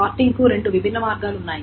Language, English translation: Telugu, Then there are different ways of sorting